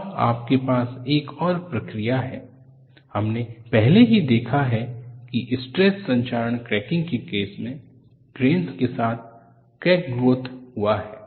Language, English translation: Hindi, And you have another process, we have already seen that in the case of stress corrosion cracking, where you had the crack growth along the grains